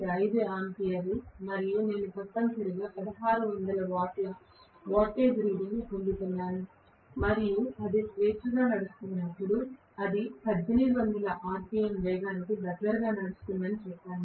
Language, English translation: Telugu, 5 ampere and I am essentially getting a wattage reading of 1600 watts and when it is freely running let us say it is running close to a speed of 1800 rpm let us say 1760 rpm